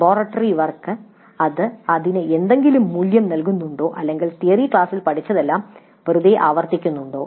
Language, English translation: Malayalam, The laboratory work does it add any value to that or whether it just simply repeats whatever has been learned in the theory class